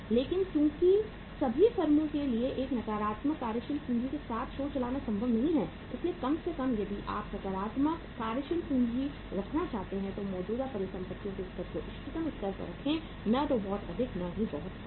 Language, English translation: Hindi, But since it is not possible for all the firms to run the show with a negative working capital so at least if you want to have the positive working capital keep the level of current assets at the optimum level, neither too high nor too low